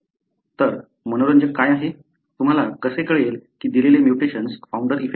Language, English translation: Marathi, So, what is interesting, how do you know that a given mutation is because of founder effect